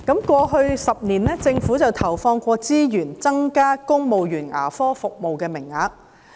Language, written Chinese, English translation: Cantonese, 過去10年，政府曾投放資源增加公務員牙科服務的名額。, Over the last decade the Government has injected resources to increase the quota of dental services for civil servants